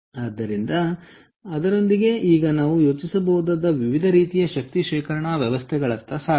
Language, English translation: Kannada, so with that, now let me move on to what are the different kinds of energy storage systems that we can think off